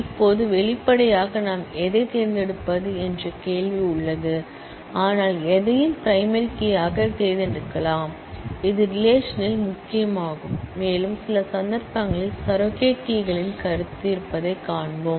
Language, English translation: Tamil, Now; obviously, there is a question of which one we select, but anyone can be selected as a primary key, which is the key of the relation and we will see that in some cases, there is concept of surrogate keys